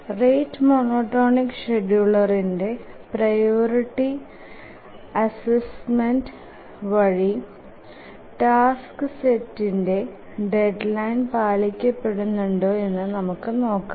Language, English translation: Malayalam, Now let's check whether with this priority assignment of the rate monotonic scheduling, the task set will meet its deadline